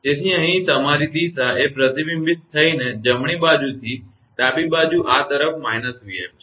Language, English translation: Gujarati, So, here, your direction is from reflected one from right to left this side is minus v f